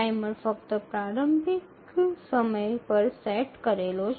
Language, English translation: Gujarati, The timer is set only at the initialization time